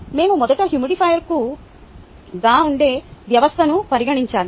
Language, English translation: Telugu, we will have to first consider the system, which is the humidifier